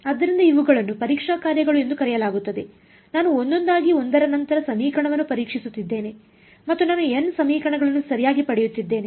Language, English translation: Kannada, So, that is why these are called testing functions, I am testing the equation with each one of them one after the other and I am getting n equations right